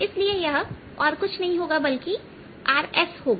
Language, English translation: Hindi, so this is nothing but r